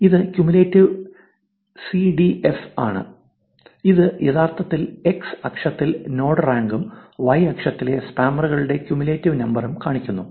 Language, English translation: Malayalam, So, this is cumulative, CDF, which actually shows you node rank at the x axis and cumulative number of spammers in the y axis